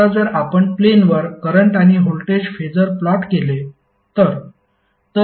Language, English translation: Marathi, Now, if you plot the current and voltage Phasor on the plane